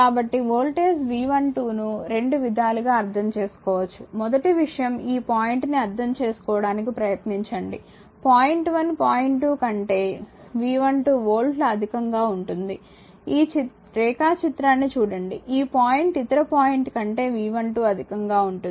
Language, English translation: Telugu, So, the voltage V 12 to can be interpreted as your in 2 ways first thing is this point you try to understand first one is the point 1 is at a potential of V 12 volts higher than point 2, look at this diagram right, it this point is your at a potential of V 12 higher than this your what you call that other point 2